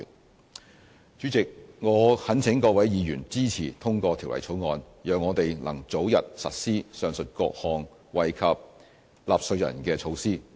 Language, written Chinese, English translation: Cantonese, 代理主席，我懇請各位議員支持通過《條例草案》，讓我們能早日實施上述各項惠及納稅人的措施。, Deputy President I implore Members to pass the Bill in order that the said measures that benefit taxpayers can be implemented early